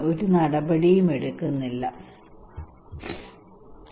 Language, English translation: Malayalam, I am not taking any action okay